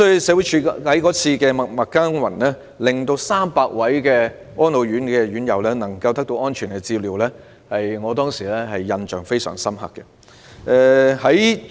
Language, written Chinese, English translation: Cantonese, 社署在該事件中默默耕耘，讓300名安老院舍的院友得到安全的照料，給我留下深刻的印象。, Thanks to the unsung deeds of SWD in the incident the 300 RCHE inmates were able to receive safe care . This has left a profound impression on me